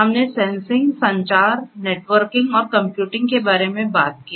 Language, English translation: Hindi, 0, we talked about sensing, communication, networking and computing